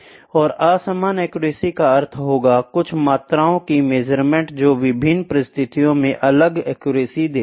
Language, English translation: Hindi, And unequal accuracy would mean the measurement of some quantity which gives different accuracy under different conditions